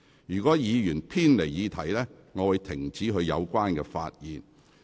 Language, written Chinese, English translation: Cantonese, 如果議員偏離議題，主席會指示議員停止發言。, If a Member digresses from the subject matter the President will direct him to discontinue